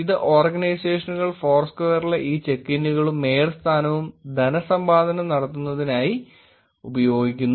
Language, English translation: Malayalam, Today organizations are monetizing this check ins and mayorship in foursquare